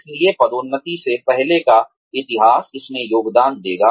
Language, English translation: Hindi, So, prior history of promotions, will contribute to this